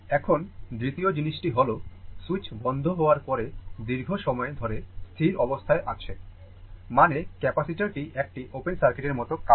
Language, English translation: Bengali, Now, second thing is, the steady state a long time, after the switch closes, means the capacitor acts like open circuit right